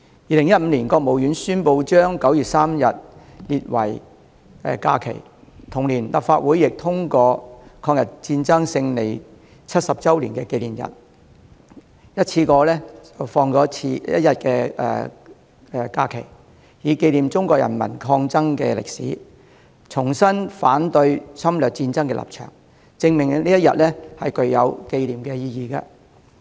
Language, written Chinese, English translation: Cantonese, 2015年，國務院宣布將9月3日列為假期，同年立法會亦通過就"抗日戰爭勝利70周年紀念日"一次性增加1天假期，以紀念中國人民抗爭的歷史，重申反對侵略戰爭的立場，證明這一天具有紀念的意義。, In 2015 the State Council designated 3 September as a holiday . In the same year the Legislative Council also passed a bill to designate an additional holiday on a one - off basis to mark the 70 anniversary of the Chinese Peoples War of Resistance against Japanese Aggression so as to commemorate the War of Resistance and reiterate Chinas stance of opposing any war of aggression